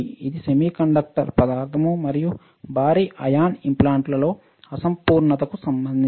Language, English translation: Telugu, It is related to imperfection in semiconductor material and have heavy ion implants